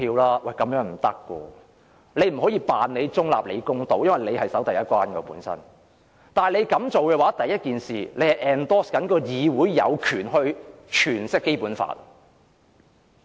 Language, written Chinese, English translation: Cantonese, 主席不能假裝中立和公道，主席應負責守第一關，主席容許提出有關建議，便是支持議會有權詮釋《基本法》。, The President cannot pretend to be neutral and fair he should perform his duty as a gatekeeper . If the President allows Members to put forward the proposal he virtually supports Members having the right to interpret the Basic Law